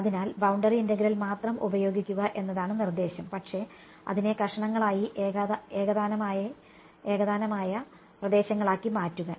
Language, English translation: Malayalam, So, the suggestion is to use boundary integral only, but to make it into piecewise homogeneous regions